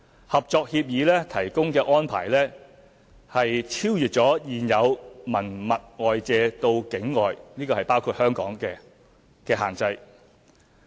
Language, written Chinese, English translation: Cantonese, 《合作協議》提供的安排超越了現有文物外借到境外的限制。, The Collaborative Agreement has gone beyond the existing restrictions imposed on